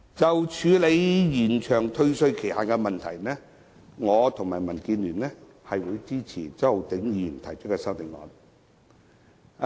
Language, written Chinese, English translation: Cantonese, 就處理延長退稅期限，我們會支持周浩鼎議員提出的修正案。, On the statutory time limit under the refund mechanism we will support Mr Holden CHOWs CSAs